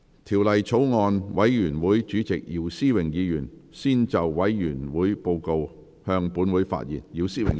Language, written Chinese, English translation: Cantonese, 條例草案委員會主席姚思榮議員先就委員會報告，向本會發言。, Mr YIU Si - wing Chairman of the Bills Committee on the Bill will first address the Council on the Committees Report